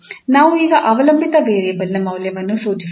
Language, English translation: Kannada, So we have to prescribe now the value of the dependent variable